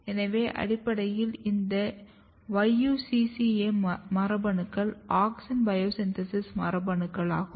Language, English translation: Tamil, So, basically this YUCCA genes are auxin biosynthesis genes